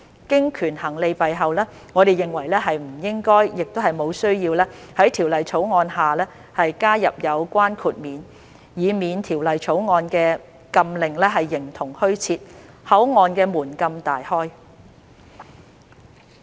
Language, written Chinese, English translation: Cantonese, 經權衡利弊後，我們認為不應該，亦無需要在《條例草案》下加入有關豁免，以免《條例草案》的禁令形同虛設，口岸的門禁大開。, Having weighed the pros and cons we consider it inappropriate and unnecessary to include this exemption in the Bill lest the prohibition in the Bill will be rendered virtually useless and the border gates will be thrown open